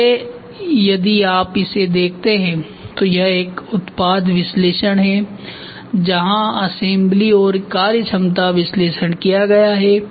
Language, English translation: Hindi, So, if you look at it so this is a product analysis where and which design for assembly and functionality analysis is done